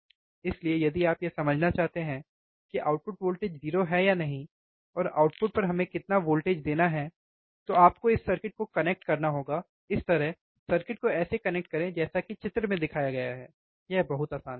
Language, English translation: Hindi, So, if you want to understand whether output voltage is 0 or not, and how much voltage we have to give at the output, then you have to do you have to connect the circuit, like this, now let us see the connect the circuit as shown in figure it is very easy, right